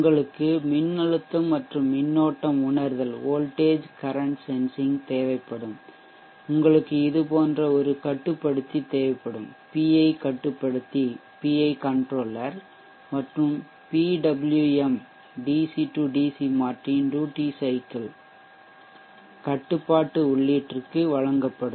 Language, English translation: Tamil, You will need the voltage and the current sensing you will need a controller something like this VI controller and PW which will be given to the duty cycle control input of the DC DC converter